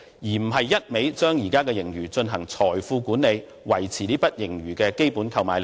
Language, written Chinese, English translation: Cantonese, 政府不應只顧將現時的盈餘進行財富管理，維持這筆盈餘的基本購買力。, The Government should not focus only on surplus management or maintaining the basic purchasing power of the surplus